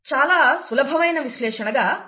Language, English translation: Telugu, It blends itself to very easy analysis